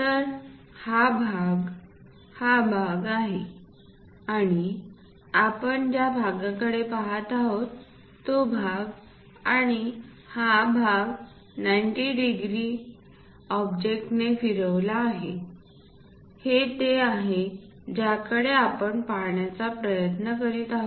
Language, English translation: Marathi, So, that this part is this part and this part we are looking as this one and this part is that is rotated by 90 degrees object, that one what we are trying to look at